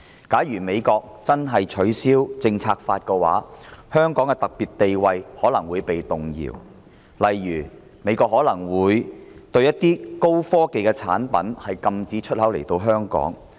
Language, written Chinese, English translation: Cantonese, 假如美國真的取消《香港政策法》，香港的特殊地位可能會動搖，例如美國可能會禁止某些高科技產品進口香港。, If the United States really repeals the Hong Kong Policy Act Hong Kongs special status may be rocked . For instance the United States may ban the export of certain high - tech products to Hong Kong